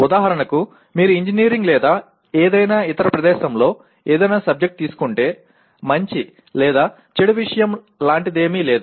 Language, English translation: Telugu, For example if you take any subject in engineering or any other place there is nothing like a good or bad subject